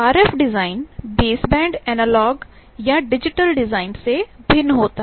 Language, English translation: Hindi, RF design differs from the base band analogue or digital design